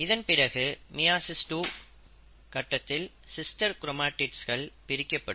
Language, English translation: Tamil, And then, in meiosis two, you will find that there are sister chromatids which will get separated